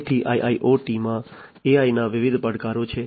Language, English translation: Gujarati, So, there are different challenges of AI in IIoT